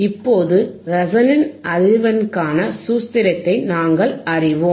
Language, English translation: Tamil, Now, we know the formula for resonant frequency, we know the formula for resonant frequency